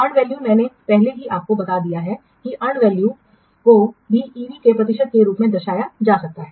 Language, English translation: Hindi, And value, I have already told you, and value also can be represented as a percentage of EV